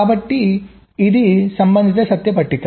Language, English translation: Telugu, so this is the corresponding truth table